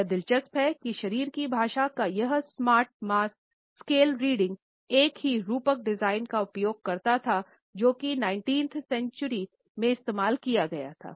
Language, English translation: Hindi, It is interesting that this smart mass scale reading of body language uses the same metaphor design; uses the same metaphor the same design, which had been used in the 19th century